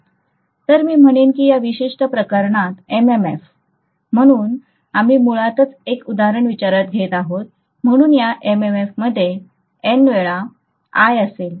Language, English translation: Marathi, So I would say that MMF in this particular case, so we are considering an example basically, so in this MMF will be N times I, right